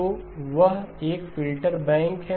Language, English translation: Hindi, So that is a filter bank